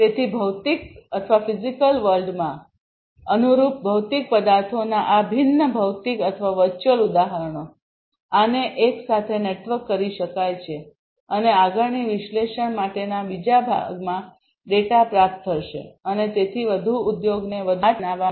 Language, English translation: Gujarati, So, these different physical or virtual instances of the corresponding physical objects in the physical world, these could be networked together and the data would be received at the other end for further processing analysis and so on for making the industry smarter